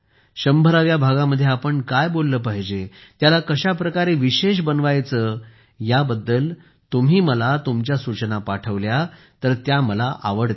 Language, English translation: Marathi, I would like it if you send me your suggestions for what we should talk about in the 100th episode and how to make it special